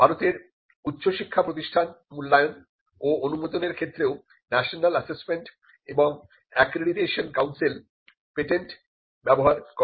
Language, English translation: Bengali, The National Assessment and Accreditation Council also uses patents when it comes to assessing and accrediting higher education institutions in India